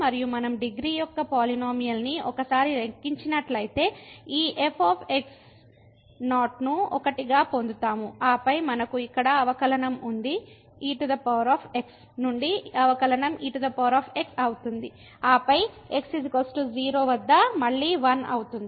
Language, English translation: Telugu, And if we compute the polynomial of degree once we will get this as 1 and then we have the derivative here power the derivative will be power and then at is equal to this will again 1